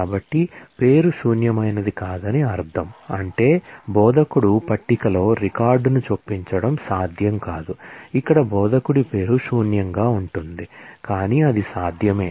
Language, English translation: Telugu, So, we say the name is not null which means that, in the instructor table it is not possible to insert a record, where the name of the instructor is null that is unknown, but it is possible